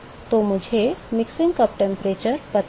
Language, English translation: Hindi, So, I know the mixing cup temperature